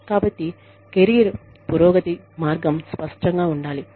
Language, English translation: Telugu, So, the career progression path, should be clear